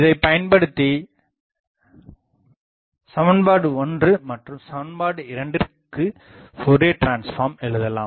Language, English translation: Tamil, So, let us take Fourier transform of both equation 1 and equation 2